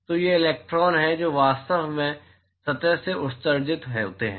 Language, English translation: Hindi, So, there are these electrons which are actually emitted from the surface